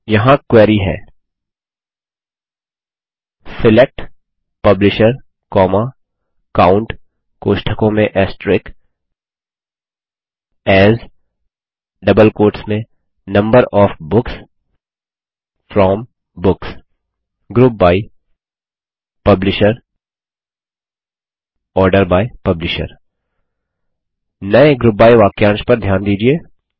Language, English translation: Hindi, Here is the query: SELECT Publisher, COUNT(*) AS Number of Books FROM Books GROUP BY Publisher ORDER BY Publisher Notice the new GROUP BY clause